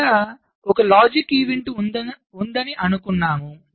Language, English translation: Telugu, so i say that there is a logic event list